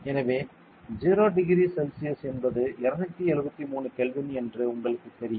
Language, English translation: Tamil, So, you know that 0 degree Celsius I mean 273 Kelvin right